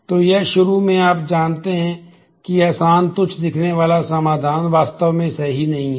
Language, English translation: Hindi, So, this initially you know easy trivial looking solution is not actually correct